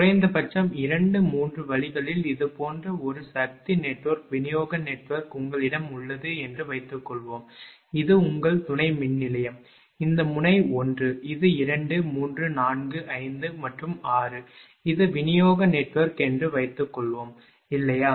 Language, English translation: Tamil, At least 2, 3 ways, this suppose you have a power network distribution network like this, this is your substation, this node is 1, suppose this is 2 3 4 5 and 6 this is the distribution network, right